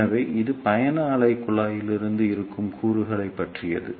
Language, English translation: Tamil, So, this is all about the components present in the travelling wave tubes